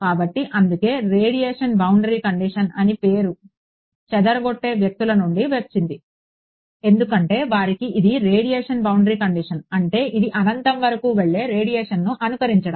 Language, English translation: Telugu, So, that is why this, that is why the name radiation boundary condition has come from the scattering people, because for them this is a radiation boundary condition meaning its simulating a radiation that is going off to infinity